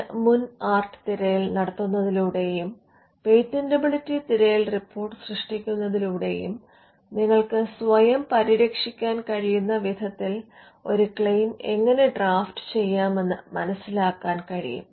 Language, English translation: Malayalam, Now by performing a prior art search, and by generating a patentability search report, you would understand as to how to draft a claim in such a manner that you can protect yourself, or safeguard yourself from a future amendment